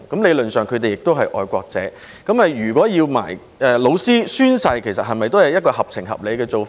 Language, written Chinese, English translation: Cantonese, 理論上，他們都是愛國者，如果要求老師也要宣誓，是否也是合情合理的做法？, Theoretically teachers are all patriots . Is it reasonable and fair to require them to take oath?